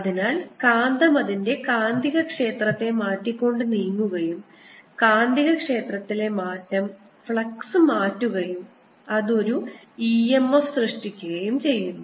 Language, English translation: Malayalam, so as the magnet is moving around, its changing the magnetic field and the change in the magnetic field changes the flux and that generates an e m f